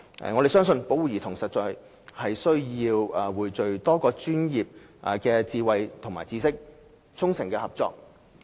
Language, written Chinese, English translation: Cantonese, 我們相信，保護兒童實在需要匯聚多個專業的智慧和知識，衷誠合作。, We believe that it is honestly necessary to pool the wisdom and knowledge of various professions and strike up sincere cooperation in order to protect our children